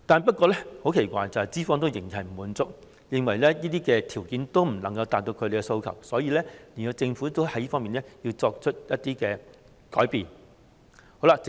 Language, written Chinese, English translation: Cantonese, 不過，很奇怪的是，資方仍然不滿足，認為這些條件仍未能達到他們的要求，所以，政府要就此作出一些改變。, However it is very strange that employers are still not satisfied and believe that these conditions still fail to meet their expectations . Therefore the Government has to make some changes in this regard